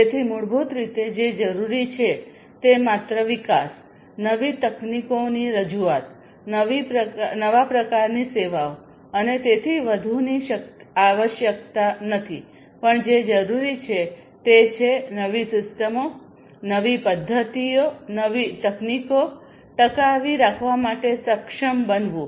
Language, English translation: Gujarati, So, basically what is required is not just the development, development in terms of introduction of new technologies, new types of services, and so on, but what is also required is to be able to sustain the newer systems, newer methodologies, newer techniques that are introduced